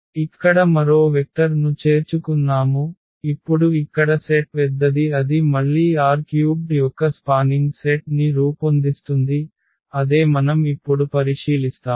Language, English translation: Telugu, So, we have added one more vector here now our set here is bigger and now again this also forms a spanning set of R 3 that is what we will observe now